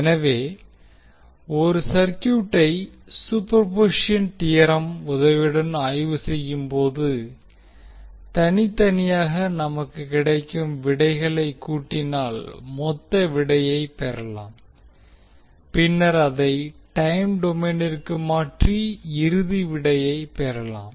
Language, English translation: Tamil, So when we will analyze the circuit with the help of superposition theorem the total response will be obtained by adding the individual responses which we get from the superposition theorem and we will convert the response in time domain for the final result